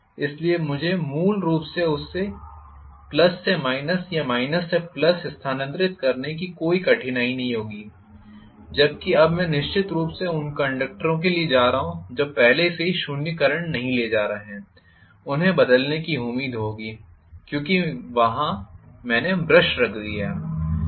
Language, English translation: Hindi, So, I would not have any difficulty basically to transfer the current from plus to minus or minus to plus no problem whereas now I am going to have definitely the conductors which are already not carrying 0 current will be expected to change over, because I put the brush there